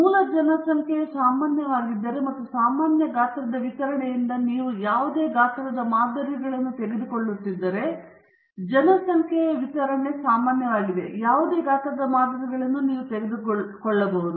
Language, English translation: Kannada, If the parent population is normal, and you take samples of any size from the normal distribution, the population distribution is normal, and you take samples of any size